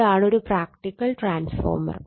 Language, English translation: Malayalam, That is yourreal that is your practical transformer